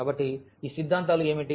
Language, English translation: Telugu, So, what are these axioms